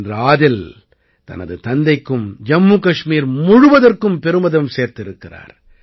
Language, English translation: Tamil, Today Adil has brought pride to his father and the entire JammuKashmir